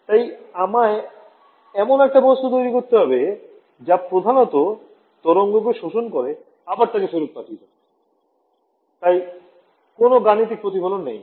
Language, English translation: Bengali, So, I have to design this material which basically absorbs the wave and again it send it back so, no numerical reflection ok